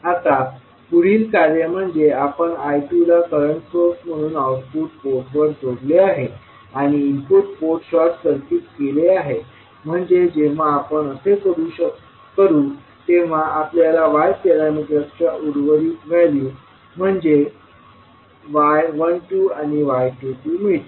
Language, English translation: Marathi, Now, next task is that we will add I 2 as a current source at output port and short circuit the input port, so when we will do that we will get again the values of remaining Y parameters that is y 12 and y 22